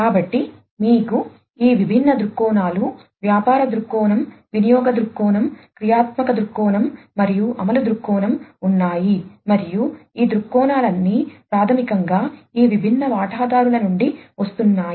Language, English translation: Telugu, So, you we have these different viewpoints the business viewpoint we have the business viewpoint, we have the usage viewpoint, we have the functional viewpoint and the implementation viewpoint, and all these viewpoints are basically coming from these different stakeholders